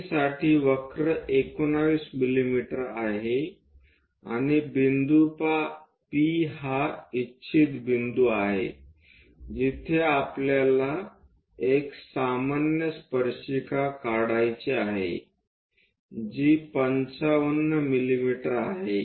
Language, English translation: Marathi, So, from O on the curve at let us write it C for the curve is 19 mm and the point intended point P where we would like to draw a normal tangent is at 55 mm